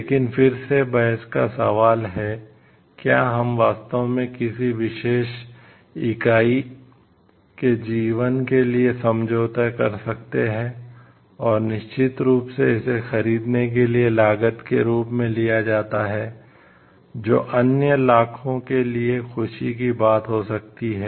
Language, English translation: Hindi, But again debatable question is can we really compromise for the life of a particular entity and, like sure and then it is taken as a cost for the buying the may be happiness for other million